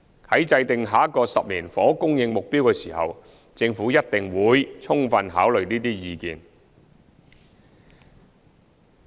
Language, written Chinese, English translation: Cantonese, 在制訂下一個10年房屋供應目標的時候，政府一定會充分考慮這些意見。, When formulating the next 10 - year housing supply target the Government will certainly fully consider such views